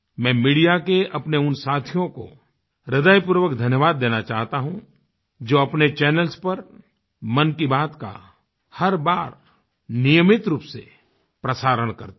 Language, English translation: Hindi, I sincerely thank from the core of my heart my friends in the media who regularly telecast Mann Ki Baat on their channels